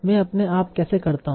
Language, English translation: Hindi, How do I do that automatically